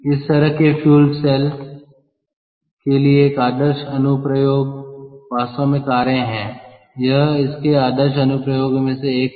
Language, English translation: Hindi, an ideal application for such a fuel cell is actually cars, one of the ideal applications